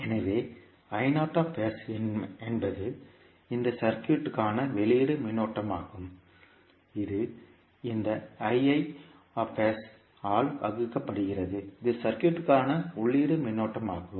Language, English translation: Tamil, So, I naught s is the output current of this circuit divided by this I s that is input current for the circuit